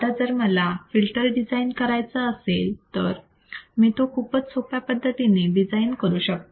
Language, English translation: Marathi, Now, if I want to design this filter, it is very simple